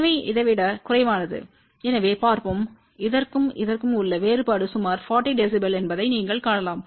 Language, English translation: Tamil, So, over this which is less than that , so let us see what is directivity you can see that the difference between this and this is about 40 db